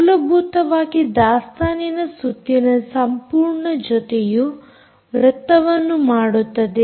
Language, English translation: Kannada, essentially, complete set of inventory rounds making up a circle